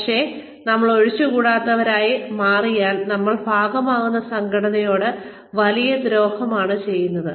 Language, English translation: Malayalam, And, if we become indispensable, we end up doing a massive disservice to the organization, that we are a part of